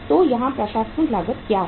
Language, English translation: Hindi, So what is the administrative cost here